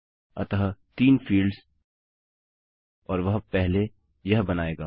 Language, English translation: Hindi, So, three fields and that will create that first